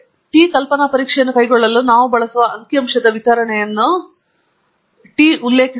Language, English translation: Kannada, The t refers to the distribution of the statistic that we shall use to carry out the hypothesis test